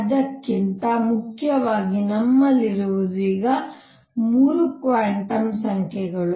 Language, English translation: Kannada, More importantly what we have are now 3 quantum numbers